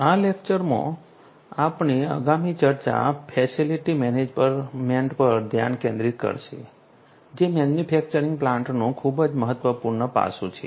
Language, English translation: Gujarati, Our next discussion in this lecture will focus on facility management, which is a very important aspect in manufacturing plants